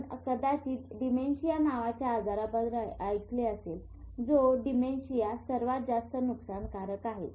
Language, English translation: Marathi, You must have heard of a illness called dementia and dementia is like the most, the nucleus which is the most damage is